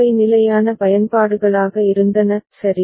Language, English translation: Tamil, Those were the standard uses, right